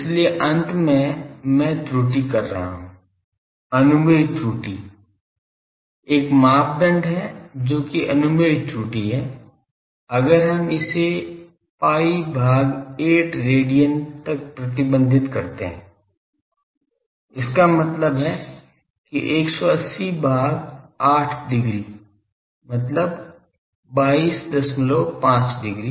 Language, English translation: Hindi, So, at the ends I am committing error that permissible error, there is a criteria that that permissible error, if we restrict it to let us say pi by 8 pi by 8 radian; that means, 180 by 8 degree 180 by 8 degree means 22